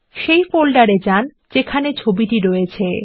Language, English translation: Bengali, Now lets go to the folder where the image is located